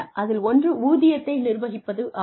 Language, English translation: Tamil, One is salary administration